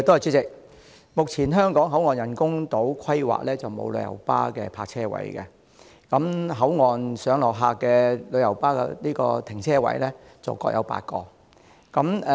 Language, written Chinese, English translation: Cantonese, 主席，目前香港口岸人工島規劃中沒有旅遊巴的泊車位，而口岸上落客的停車位則各有8個。, President there are no coach parking spaces under the existing planning of the BCF Island and at the boundary control point there are now eight parking spaces for passenger pick - up purpose and also eight spaces for drop - off purpose